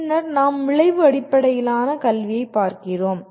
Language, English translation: Tamil, Then we look at outcome based education